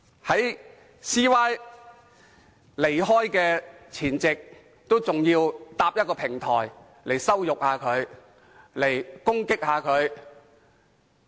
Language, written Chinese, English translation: Cantonese, 在梁振英離開前夕，反對派仍要搭建一個平台來羞辱他、攻擊他。, On the eve of LEUNG Chun - yings departure the opposition camp still set up a platform to humiliate and attack him